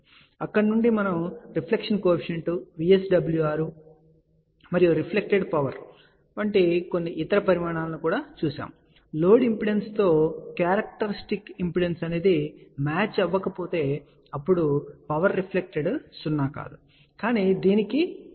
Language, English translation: Telugu, So, we are actually started discussing about input impedance which is a complex number and from there we are actually also defined few other quantities like a deflection coefficient, VSWR and reflected power and we have also seen that if the load impedance does not match with the characteristic impedance, when power reflected is not 0 but it has a finite value